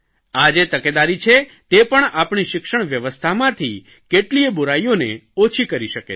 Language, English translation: Gujarati, Vigilance can be of help to reduce many shortcomings in the education system